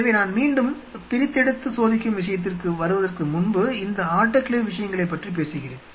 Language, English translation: Tamil, So, just before I again get back to the dissecting thing, let me talk about this autoclave stuff